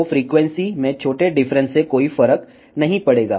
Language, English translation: Hindi, So, small deviation in the frequency will not make any difference